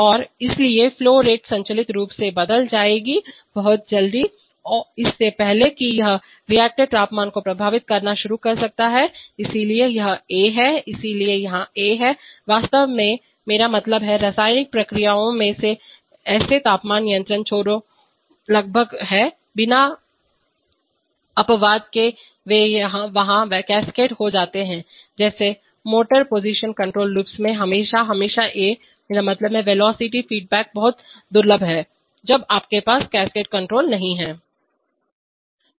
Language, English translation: Hindi, And therefore the flow rate will automatically get changed, very quickly, even before that it can start affecting the reactor temperature, so this is a, so here is a, here in fact, I mean, such temperature control loops in chemical processes are almost without exception there they are cascaded just like in motor position control loops you always, always have a, I mean, have a velocity feedback is very rare, when you do not have cascade control